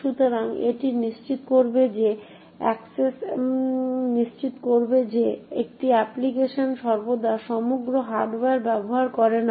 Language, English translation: Bengali, So, it will ensure that one application does not utilise the entire hardware all the time